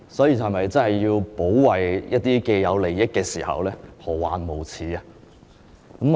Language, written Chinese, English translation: Cantonese, 要保衞一些既得利益時，何患無辭？, When it is necessary to defend some vested interests there will be no lack of excuses